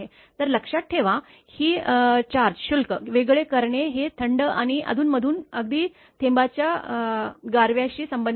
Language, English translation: Marathi, So, note that charge separation is related to the super cooling and occasional even the freezing of the droplets right